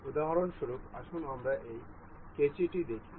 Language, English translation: Bengali, For example, we will see let us see this scissor